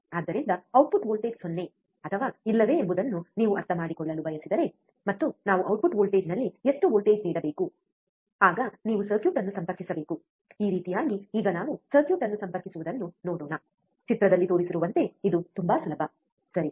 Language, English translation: Kannada, So, if you want to understand whether output voltage is 0 or not, and how much voltage we have to give at the output, then you have to do you have to connect the circuit, like this, now let us see the connect the circuit as shown in figure it is very easy, right